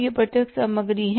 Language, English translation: Hindi, This is the direct material